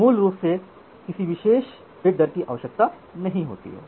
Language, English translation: Hindi, So, basically does not require any particular bit rate